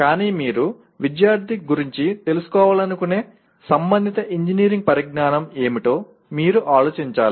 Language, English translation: Telugu, But you have to think in terms of what is the relevant engineering knowledge that you want the student to be aware of